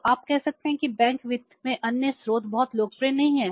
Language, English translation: Hindi, So, you can say that other sources then the bank finance are not very popular